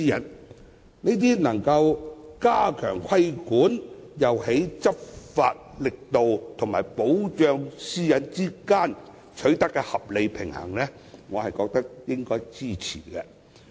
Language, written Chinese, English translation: Cantonese, 這些措施既能加強規管，也在執法力度和保障私隱之間取得合理平衡，我覺得應該予以支持。, These measures can on the one hand strengthen the regulation and on the other strike a right balance between law enforcement and the privacy of the people concerned . I think they should be supported